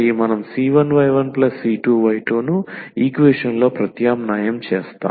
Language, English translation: Telugu, We just substitute the c 1 y 1 plus c 2 y 2 into the equation